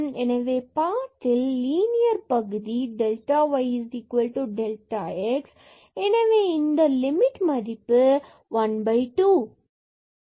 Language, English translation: Tamil, So, along this path linear part delta y is equal to delta x this limit is equal to 1 by 2